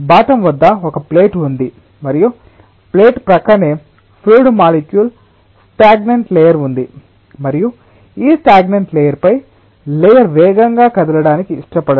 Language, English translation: Telugu, at the bottom there is a plate and there is a stagnant layer of fluid molecules adjacent to the plate, and these stagnant layer doesnt want the upper layer to move fast